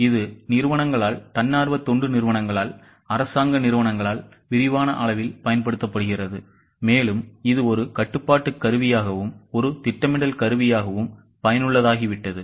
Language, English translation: Tamil, It is used by corporations, by NGOs, by government organizations on an extensive scale and it has become useful as a planning tool, as a control tool and as also the decision making tool